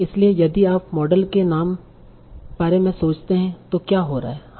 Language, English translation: Hindi, So if you think of the model name, what is happening